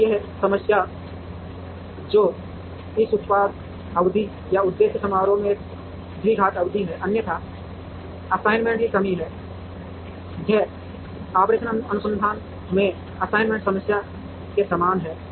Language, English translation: Hindi, Now this problem which has this product term or a quadratic term in the objective function, and otherwise has assignment constraints, this is very similar to the assignment problem in operations research